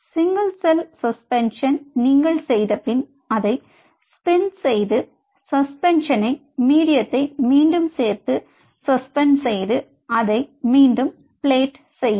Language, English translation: Tamil, after you made the single cell suspension, you spin it down, pull out the suspension, resuspend it in a plating medium and now you plate them